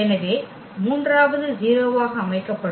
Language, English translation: Tamil, So, the third will be set to 0